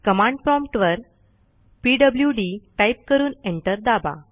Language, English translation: Marathi, Type at the prompt pwd and press enter